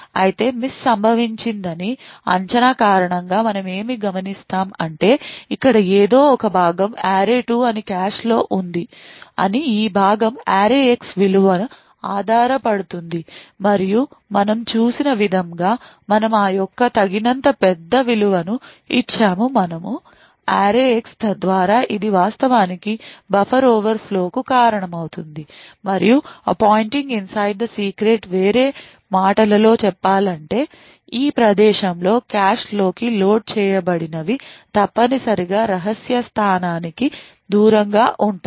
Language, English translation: Telugu, Due to the miss prediction that had occurred however what we observe is that there is some component of array2 that is present in the cache now we know note that this component depends on the value of array[x]and what we have seen is that we have given a sufficiently large value of array[x] so that it was actually causing a buffer overflow and appointing inside the secret in other words what has been loaded into the cache at this location is essentially a function off the secret location